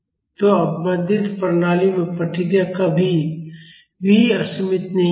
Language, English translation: Hindi, So, in damped systems the response will never be unbounded